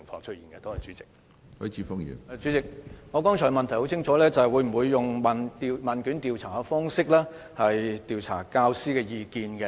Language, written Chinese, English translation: Cantonese, 主席，我的補充質詢很清楚，局方會否用問卷調查的方式調查教師的意見？, President my supplementary question is very clear whether the Education Bureau will gauge the views of teachers by way of questionnaire survey